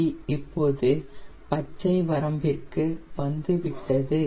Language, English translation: Tamil, it is just starting in the green range